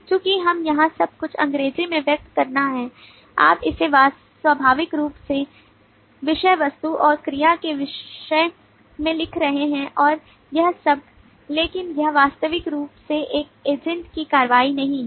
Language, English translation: Hindi, since we have to express everything here in english you are writing it in terms of naturally subject predicate object and verb and all that, but this is not actual an action of an agent